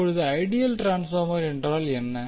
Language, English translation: Tamil, Now what is ideal transformer